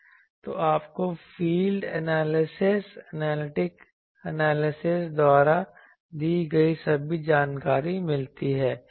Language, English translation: Hindi, So, ultimately you get all the informations that are given by the field analysis, analytic analysis